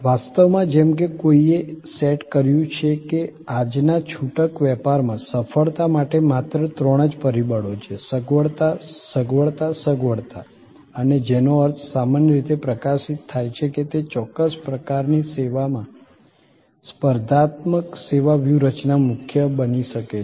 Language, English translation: Gujarati, In fact, as somebody has set that in today’s retail business, there is only there are three factors for success, convenience, convenience, convenience and which means in generally highlight this can become a competitive service strategy core in certain kinds of services